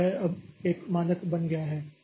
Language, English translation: Hindi, So it it has become a standard now